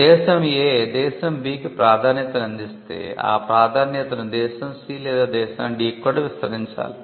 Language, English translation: Telugu, If country A offers a preferential treatment to country B then that treatment has to be extended to country C or country D as well